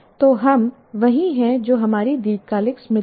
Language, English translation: Hindi, So we are what our long term memory is